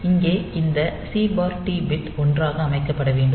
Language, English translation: Tamil, So, here this C/T bit should be set to 1